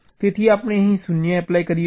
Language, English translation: Gujarati, so we apply a zero here